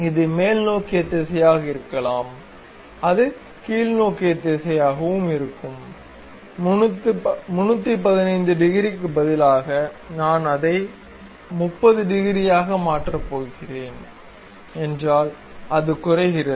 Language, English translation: Tamil, It can be upward direction, it will be downward direction also; instead of 315 degrees, if I am going to make it 30 degrees, it goes down